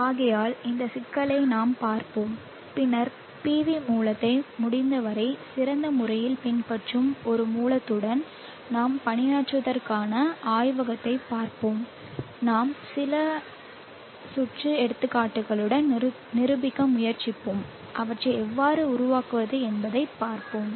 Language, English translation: Tamil, With respected with respect to the PV source therefore we shall look at this problem and then see for the lab for you to work with a source which emulates PV source as best as possible we will try to demonstrate with a few psychotic samples and see how you can go about building them